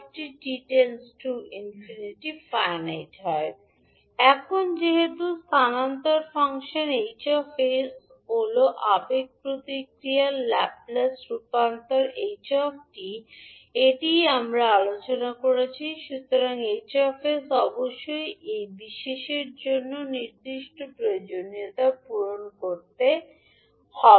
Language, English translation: Bengali, Now since the transfer function h s is the laplus transform of the impulse response h t this is what we discussed, so hs must meet the certain requirement in order for this particular equation to hold